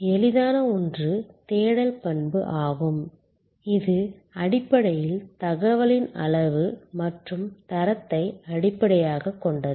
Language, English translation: Tamil, The easier one is the search attribute, which are fundamentally based on quantity and quality of information